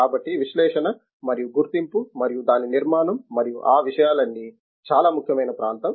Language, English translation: Telugu, So, the analysis and identification and its structure and all those things are very important area